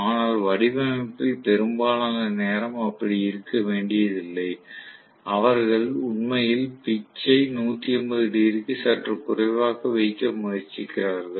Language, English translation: Tamil, But that need not be the case, most of the times in design; they try to actually make the pitch slightly less than 180 degrees